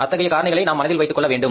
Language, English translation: Tamil, We will have to keep those factors in mind